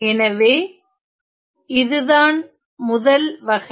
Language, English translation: Tamil, So, this is a first kind